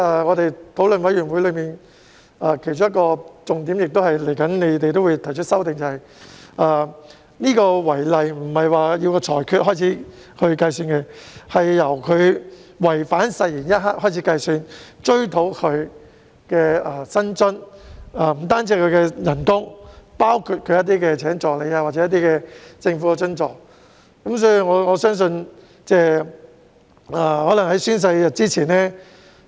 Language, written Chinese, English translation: Cantonese, 我們在法案委員會上討論的其中一個重點，而當局亦會提出修訂的，是違例並非由法庭裁決開始計算，而是由違反誓言一刻開始計算，而所追討的薪津不只是有關公職人員的薪酬，還包括聘請助理等政府津助。, One of the main issues discussed in the Bills Committee on which an amendment will be proposed by the Administration is that the contravention of the relevant legislation is deemed as starting from the moment the oath is breached rather than the time the Court delivers the judgment and the remuneration and allowances to be recovered include not only the remuneration of the public officer in question but also the government allowance for employing assistants etc